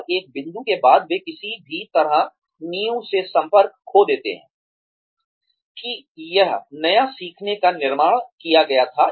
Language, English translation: Hindi, And, after a point, they somehow, lose touch with the foundation, that this new learning had been built on